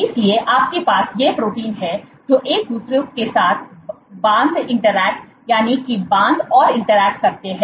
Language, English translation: Hindi, So, you have these proteins which kind of bind interact, bind and interact with each other